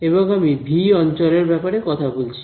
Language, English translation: Bengali, And I am talking about region V